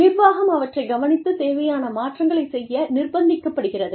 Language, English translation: Tamil, The management is forced to, take care of them, and make the necessary changes